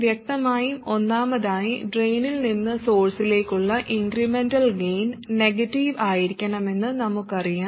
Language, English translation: Malayalam, Obviously, first of all, we already know that the incremental gain from the drain to the source must be negative